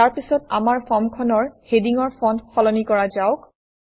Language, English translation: Assamese, Next, let us change the font of the heading on our form